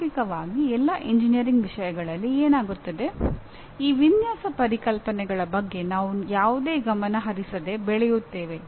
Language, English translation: Kannada, But what happens in practically all the engineering subjects, we grow with these design concepts without almost paying any attention to them